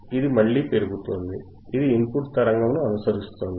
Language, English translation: Telugu, the It is increasing again, it is following the input signal right